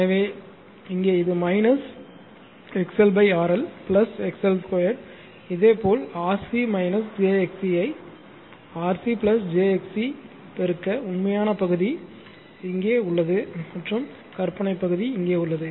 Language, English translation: Tamil, So, here it is minus XL upon RL plus XL square, similarirly for RC minus jXC numerator and denominator you multiply by RC plus jXC